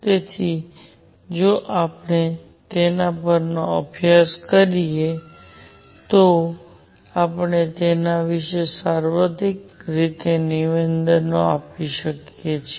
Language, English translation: Gujarati, So, if we study it, we can make statements about it in a universal way